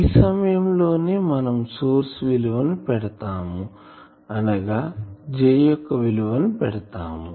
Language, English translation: Telugu, So, that will do by that time putting the source value that means, J J value